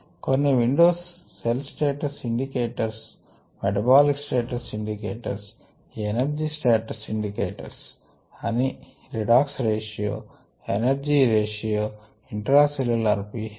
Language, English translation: Telugu, some windows are the cell status indicators, the metabolic status indicators, energy status indicators such as redox ratio, ah, the energy ratio and the ah intercellularp h